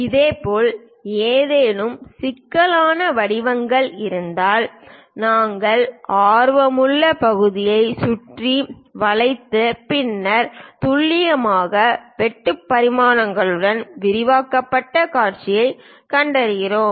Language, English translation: Tamil, Similarly, if there are any intricate shapes we encircle the area of interest and then show it as enlarged views with clear cut dimensions